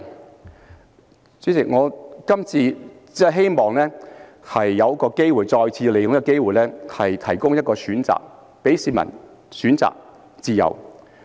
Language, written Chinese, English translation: Cantonese, 代理主席，我今次只是希望再次利用這機會，向市民提供一個選擇，讓市民有選擇的自由。, Deputy President I only wish to take this opportunity again to provide the people with a choice and allow them the freedom of choice